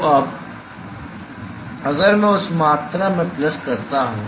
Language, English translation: Hindi, So, now if I plug in that quantity